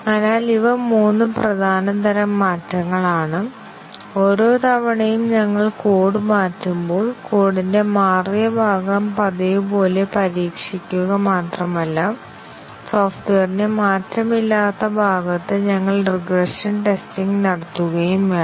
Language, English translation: Malayalam, So, these are 3 main types of changes; and each time we change the code, not only we have to test the changed part of the code as usual, but also we need to carry out regression testing on the unchanged part of the software